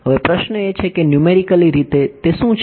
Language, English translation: Gujarati, Now the question is numerically what is it